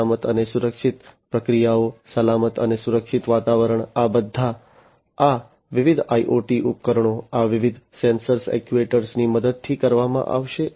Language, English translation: Gujarati, Safe and secure processes, safe and secure environment, these are all going to be performed with the help of these different IoT devices, these different sensors actuators etcetera